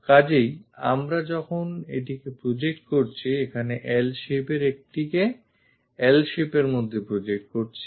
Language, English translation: Bengali, So, when we are projecting this one this L shaped one projected into L shape here